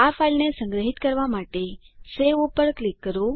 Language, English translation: Gujarati, Click on Save to save this file